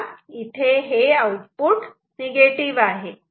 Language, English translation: Marathi, So, here the output is negative